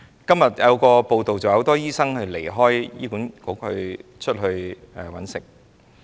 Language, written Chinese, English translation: Cantonese, 今天有一則報道，指很多醫生離開醫管局加入私營市場。, A media report today says that many doctors go to private practice after leaving HA